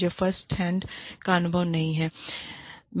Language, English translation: Hindi, I do not have, firsthand experience